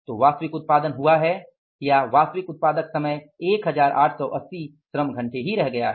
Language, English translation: Hindi, So actual production has been or the productive time has been 1 880 labor hours